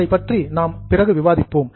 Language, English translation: Tamil, Anyway, we'll go into it later on